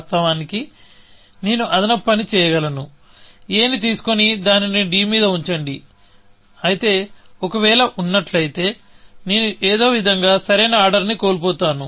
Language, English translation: Telugu, Of course, I can do extra work; pick up this a and put it on d, but that means, I am somehow missing the correct order, if there is one